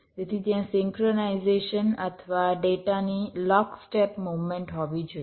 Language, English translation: Gujarati, so there should be a synchronization or a lock step movement of the data